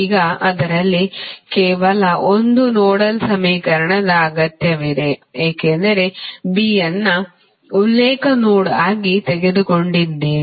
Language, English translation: Kannada, Now, out of that only one nodal equation is required because you have taken B as a reference node